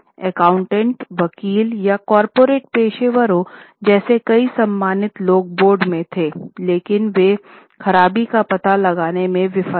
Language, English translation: Hindi, Several respectable people like accountants, lawyers or corporate professionals were on the board, but they failed to detect the malpractices